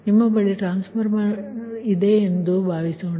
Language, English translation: Kannada, so suppose you have a transformer